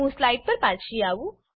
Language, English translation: Gujarati, I have returned to the slides